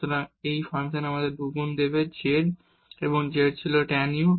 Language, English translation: Bengali, So, this will give us 2 times the z and z was tan u